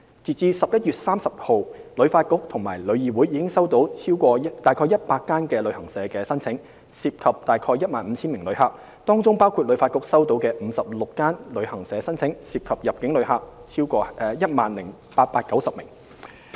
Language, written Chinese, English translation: Cantonese, 截至11月30日，旅發局和旅議會已收到約100間旅行社的申請，涉及近 15,000 名旅客，當中包括旅發局收到的56間旅行社申請，涉及入境旅客共 10,890 名。, As at 30 November HKTB and TIC received about 100 travel agents applications involving close to 15 000 visitors which included 56 travel agents applications received by HKTB involving 10 890 inbound visitors in total